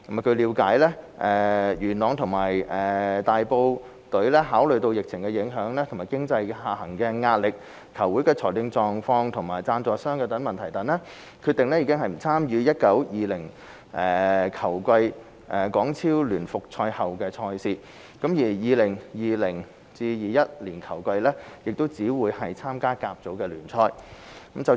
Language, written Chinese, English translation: Cantonese, 據了解，佳聯元朗及和富大埔考慮到疫情影響、經濟下行壓力、球會的財政狀況及贊助商問題等，決定不參與 2019-2020 球季港超聯復賽後的賽事，而 2020-2021 球季亦只會參加甲組聯賽。, It is noted that Best Union Yuen Long and Wofoo Tai Po have decided not to participate when HKPL matches in the 2019 - 2020 football season resume and would only compete in the First Division League in the 2020 - 2021 football season having considered relevant factors such as the impact of the pandemic downward pressure on the economy football clubs financial status and issues relating to sponsors